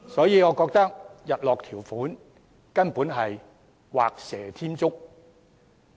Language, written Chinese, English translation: Cantonese, 因此，我認為日落條款根本是畫蛇添足。, Hence I consider a sunset clause simply superfluous